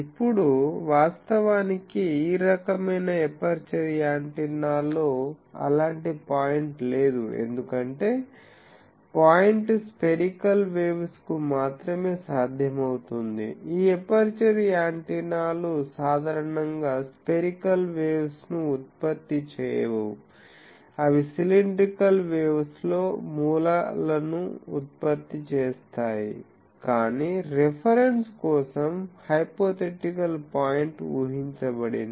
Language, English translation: Telugu, Now, actually in this type of aperture antennas there is no such point, because the point is possible only for a spherical waves, this aperture antennas generally do not produce spherical waves, they produce they line sources in cylindrical wave, but for reference purposes a hypothetical point is assumed